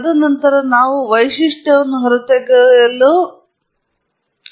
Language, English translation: Kannada, And then, we have feature extraction